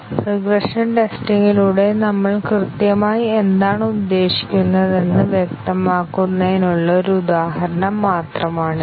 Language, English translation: Malayalam, This is just an example to illustrate what exactly we mean by regression testing